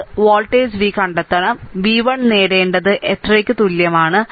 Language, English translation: Malayalam, And we have to find out, right node volt v you have to obtain v 1 is equal to how much